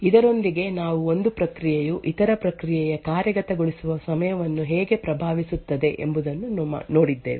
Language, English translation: Kannada, With this we have actually seen how one process could influence the execution time of other process